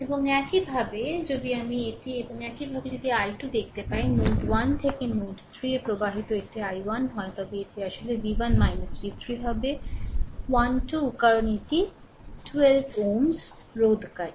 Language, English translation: Bengali, And similarly if I let me clear it right ah and similarly if you ah see the i 2 i 2 this flowing from node 1 to node 3 this is your i 2 it will be actually v 1 minus v 3 by 12 because this is 12 ohm resistor right